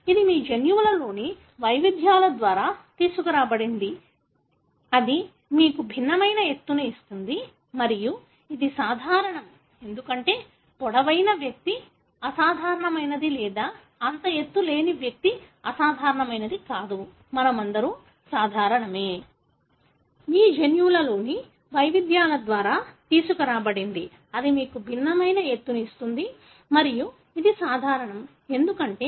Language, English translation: Telugu, So, this is brought about by variations in your genes that give you different height and this is normal, because it is not that a person who is tall is abnormal or the person who is not that tall is abnormal; all of us are normal